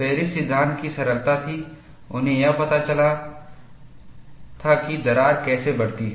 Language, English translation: Hindi, The ingenuity of Paris law was he got the kernel of how the crack grows